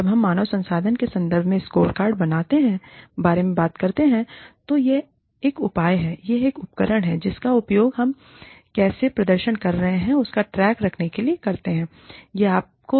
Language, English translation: Hindi, When we talk about scorecards, in terms of human resources terms, it is a measure, it is a tool, that we use, in order to keep track of, how we are performing